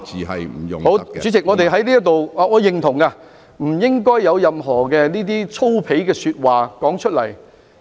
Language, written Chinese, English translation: Cantonese, 好，主席，我是認同的，不應該說出任何粗鄙的說話。, All right President I agree . We should not say anything vulgar